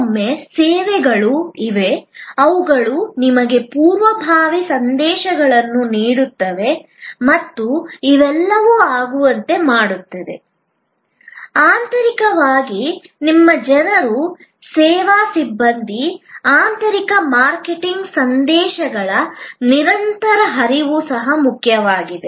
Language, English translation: Kannada, Sometimes, there are services were they will provide you proactive messages and all these to make it happen, it is also important to internally to your people, the service personnel, a continuous flow of internal marketing messages